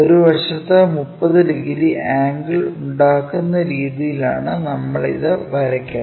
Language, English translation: Malayalam, We draw it in such a way that one of the sides makes 30 degrees angle